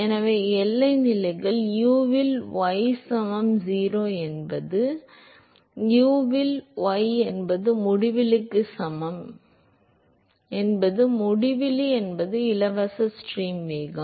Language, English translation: Tamil, So, boundary conditions are u at y equal to 0 is 0 u at y equal to infinity is uinfinity that is the free stream velocity